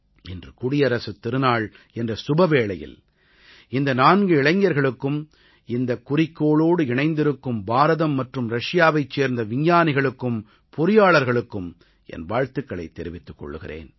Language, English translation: Tamil, On the auspicious occasion of Republic Day, I congratulate these four youngsters and the Indian and Russian scientists and engineers associated with this mission